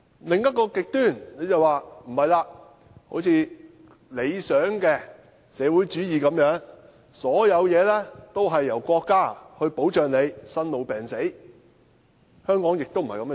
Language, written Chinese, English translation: Cantonese, 另一個極端就如理想的社會主義般，生、老、病、死，一切均由國家保障，但香港的情況亦非如此。, Another extreme is utopian socialism under which peoples birth ageing illness and death are all under the wings of their State . But again this does not apply to Hong Kong